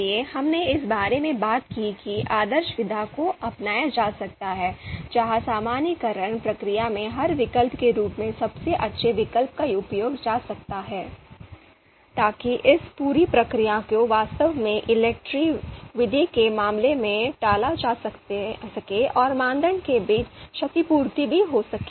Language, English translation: Hindi, So therefore, there we talked about that ideal mode could be adopted where the best alternative could be used as the denominator in the normalization process, so that this whole processes can actually be you know you know avoided in case of ELECTRE method and also the compensation between criteria